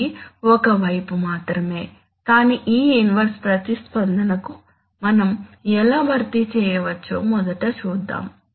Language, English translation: Telugu, This is just a, just a side, but let us see first how we can we can we can compensate for this inverse response